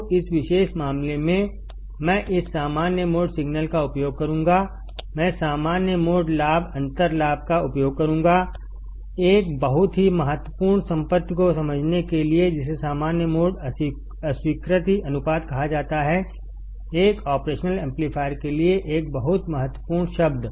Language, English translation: Hindi, So, in this particular case; I will use this common mode signal, I will use the common mode gain, differential gain; to understand a very important property which is called thecommon mode rejection ratio; a very important term for an operational amplifier